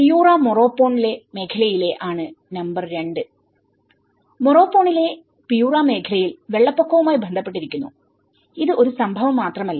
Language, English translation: Malayalam, Number 2 which is of Piura Morropón region; in Piura region in Morropón which has been associated with the floods and it is not just only a one event oriented